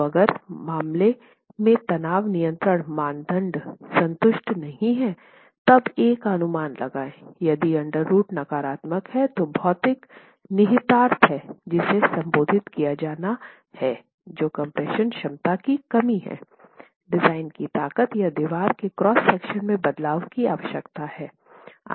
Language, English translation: Hindi, So, in case the tension control criterion is not satisfied, when you then proceed to estimate A, if the under root is negative negative then there is a physical implication which has to be addressed which is lack of compression capacity which requires a change in the design strength or the cross section of the wall